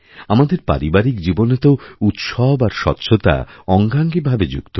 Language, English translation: Bengali, In individual households, festivals and cleanliness are linked together